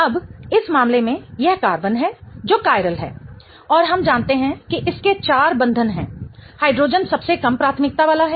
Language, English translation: Hindi, Now, in this case, this is the carbon that is chiral and we know that it has four bonds